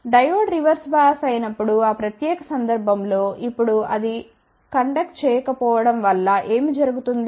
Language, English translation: Telugu, When Diode is reverse bias in that particular case now what happens that it is not conducting